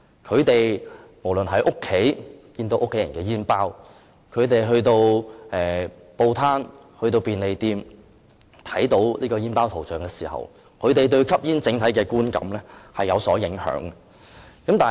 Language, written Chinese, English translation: Cantonese, 他們無論在家看到家人的煙包，或在報攤或便利店看到香煙封包的圖像警示，都會因而對吸煙產生不同的整體觀感。, The graphic warnings printed on the cigarette packets of their family members at home or those sold at newspaper stands or convenience stores could have given them different overall impressions of smoking